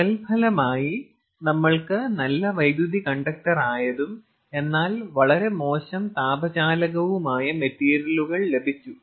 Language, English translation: Malayalam, so, as a result, we got materials which was a good conductor of electricity but a very poor conductor of heat